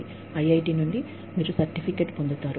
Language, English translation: Telugu, You will get a certificate from IIT